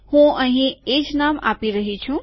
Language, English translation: Gujarati, I am giving the same name over here